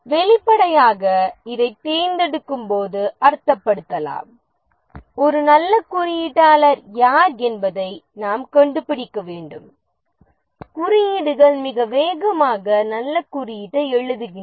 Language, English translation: Tamil, Obviously this can be interpreted to mean that during the selection we need to find out who is a good coder, codes very fast, writes good code